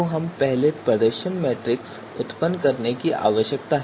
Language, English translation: Hindi, So first we need to you know generate this performance matrix